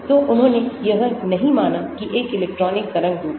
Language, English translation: Hindi, So, he did not consider an electron is a wave form